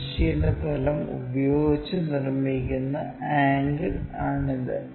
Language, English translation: Malayalam, So, this is the angle which is making with that horizontal plane